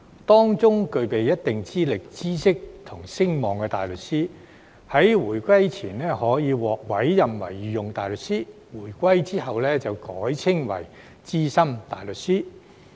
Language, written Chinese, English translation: Cantonese, 當中具備一定資歷、知識和聲望的大律師，在回歸前可獲委任為御用大律師，回歸後則改稱為資深大律師。, Barristers who possess certain qualifications knowledge and standing might be appointed as Queens Counsel before the handover of sovereignty and were retitled as Senior Counsel SC after the return of sovereignty